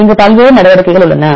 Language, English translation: Tamil, There are various steps there various measures